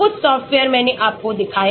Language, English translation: Hindi, some of the softwares I showed you